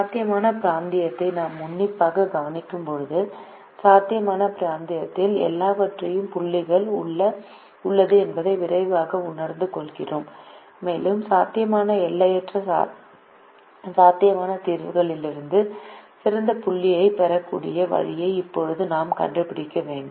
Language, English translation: Tamil, when we take a close look at the feasible region, we quickly realize that there are infinite points in the feasible region and we should now have to find the way by which we are able to get the best point out of infinite possible solutions that are feasible